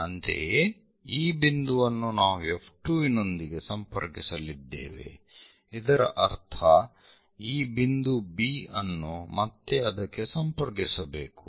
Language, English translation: Kannada, Similarly, these point we are going to connect with F 2; that means, for this point B again connect that